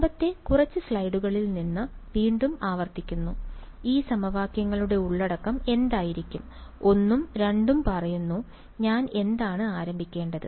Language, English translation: Malayalam, Again repeating from previous few slides, what would be the recipe of these equations say 1 and 2, what do I start with